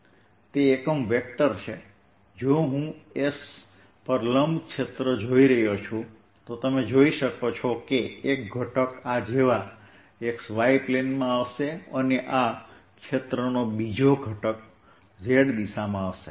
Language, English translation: Gujarati, if i am looking at area perpendicular to s, you can see one element is going to be in the x y plane, like this, and the second element of this area is going to be in the z direction